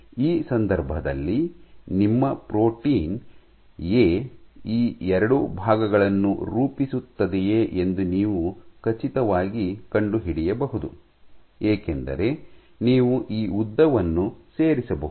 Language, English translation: Kannada, Then you can find out, know for sure whether in this case your protein A forms these 2 parts, because you can add up this length and this length